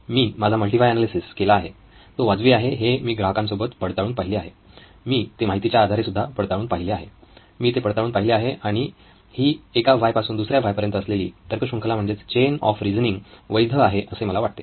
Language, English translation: Marathi, I have done my multi why analysis, it is reasonable I have checked it with customers, I have checked it with data, I have checked it and I think the chain of reasoning is valid from one why to the other, it works